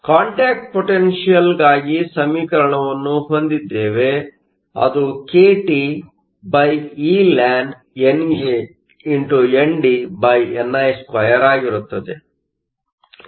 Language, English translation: Kannada, So, we have an expression for the contact potential kTeln NANDni2